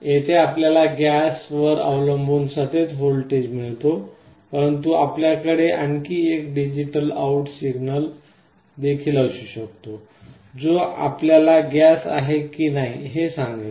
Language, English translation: Marathi, Here you get a continuous voltage depending on the gas, but you can also have another digital out signal, that will tell you whether there is a gas or no gas